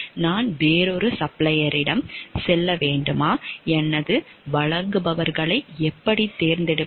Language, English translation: Tamil, Should I go for another supplier how do I select my suppliers